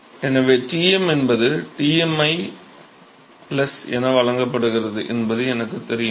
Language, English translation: Tamil, So, I know that Tm is given by Tmi plus